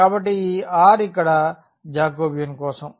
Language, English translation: Telugu, So, this r here that is for the Jacobian